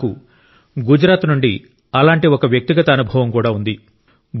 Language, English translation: Telugu, I also have had one such personal experience in Gujarat